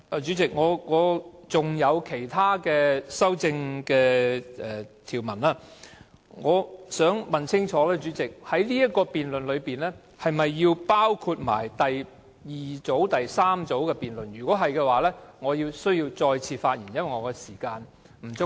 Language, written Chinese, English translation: Cantonese, 主席，我還有其他修正案。我想問清楚，這項辯論是否同時包括第二組及第三組的修正案；如果是，我便需要再次發言，因為我的時間不足夠？, Chairman I have other amendments and I would like to clarify whether this debate also covers the second and third groups of amendments . If so I would like to speak again later